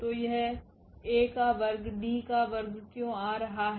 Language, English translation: Hindi, So, why this A square is coming D square